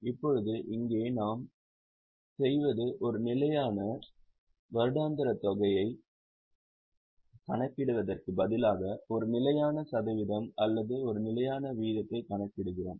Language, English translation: Tamil, Now here what we do is instead of calculating a fixed annual amount, we calculate a fixed percentage or a fixed rate